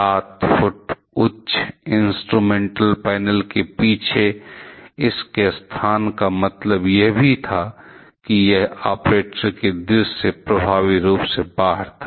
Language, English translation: Hindi, Its location on the back of the seven foot high instrument panel also meant that it was effectively out of sight of the operators